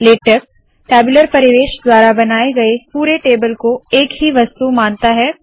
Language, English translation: Hindi, Latex treats the entire table created using the tabular environment as a single object